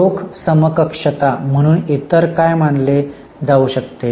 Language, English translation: Marathi, What else can be considered as cash equivalent